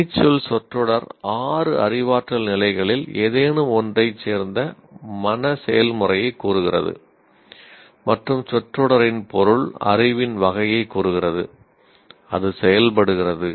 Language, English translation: Tamil, The verb phrase states the mental process belonging to any of the cognitive levels, like any of the six cognitive levels, and the object of the phrase states the type of knowledge, what kind of knowledge it is acting on